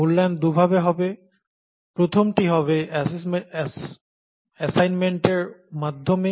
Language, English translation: Bengali, The evaluation would be two fold, the first one is through assignments